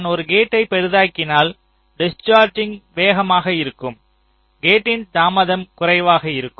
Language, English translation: Tamil, so if i make a gate larger, this discharging will be faster, so my gate delay will be less